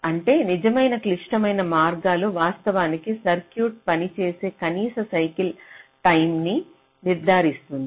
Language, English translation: Telugu, because the true critical paths will actually determine the minimum cycle time for which the circuit will function